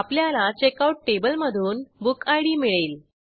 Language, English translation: Marathi, We get bookid from Checkout table